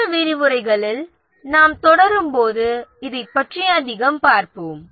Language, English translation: Tamil, We'll see more of this as we proceed in the other lectures